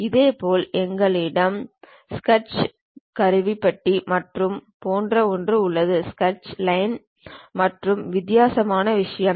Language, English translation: Tamil, Similarly, we have something like a Sketch toolbar something like Sketch, Line and different kind of thing